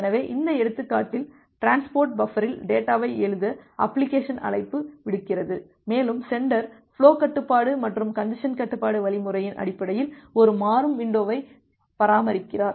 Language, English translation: Tamil, So, here in this example that the application makes a write call to write data in the transport buffer, and the sender it maintains a dynamic window based on the flow control and the congestion control algorithm